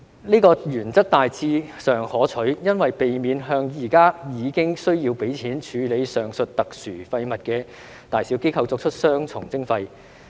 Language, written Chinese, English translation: Cantonese, 這個原則大致上可取，因為避免向現時已經需要付費處理上述特殊廢物的大小機構作出雙重徵費。, This principle is generally acceptable as it can avoid double - charging to organizations that already have to pay for the disposal of the above mentioned special waste